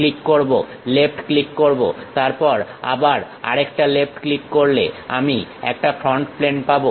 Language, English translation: Bengali, Click, left click, then again one more left click gives me front plane